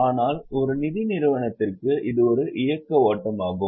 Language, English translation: Tamil, And for a finance enterprise we will categorize it as a operating flow